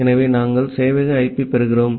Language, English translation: Tamil, So, we are getting the server IP